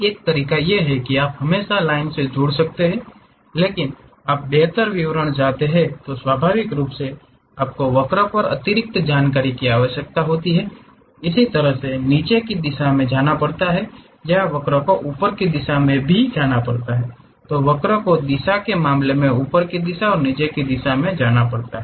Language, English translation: Hindi, One way is you can always connect by lines, but you want better description naturally you require additional information on the curve has to go downward direction in that way, the curve has to go upward direction, the curve has to go upward direction and downward direction